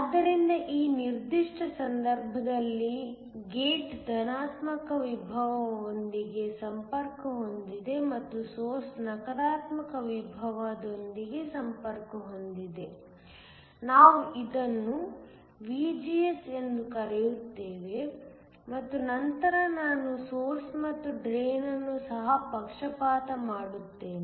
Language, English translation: Kannada, So, in this particular case the gate is connected to a positive potential and the source is connected to a negative potential, we call this VGS, and then I will also bias the source and the drain